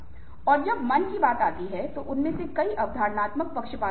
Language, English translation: Hindi, when it comes to biases of the mind, many of them are perceptual biases